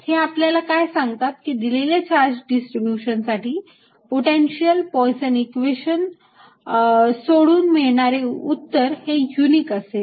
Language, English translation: Marathi, what that tells me is that, and given a charge distribution, the potential, the answer given by solving poisson's equations is unique